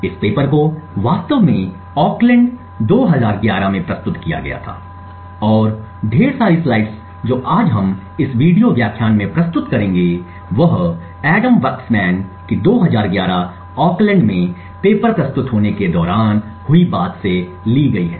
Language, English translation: Hindi, This paper was actually presented in Oakland 2011 and a lot of the slides that we will be presenting today in this video lecture is by Adam Waksman’s Oakland talk in 2011 essentially the talk corresponding to this specific paper